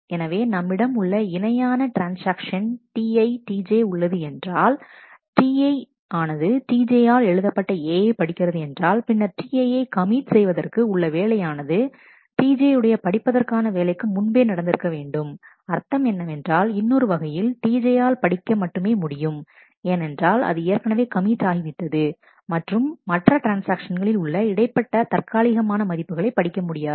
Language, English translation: Tamil, So, that T j reads A data item previously written by T i, then the commit operation of T i has to happen before the read operation of T j which means that said in other words that T j should read only read values which are already committed and not read intermediate temporary values of other transactions